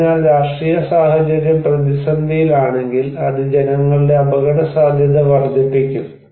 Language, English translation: Malayalam, So, if the political situation is in a turmoil that will of course increase people's vulnerability